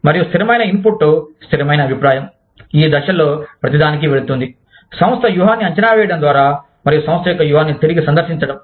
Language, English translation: Telugu, And, there is constant input, constant feedback, going into each of these stages, in and through the evaluation of the firm strategy, re visitation of the firm